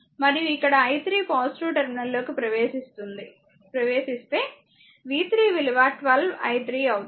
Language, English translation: Telugu, And here i 3 actually entering into the positive terminal so, v 3 will be 12 i 3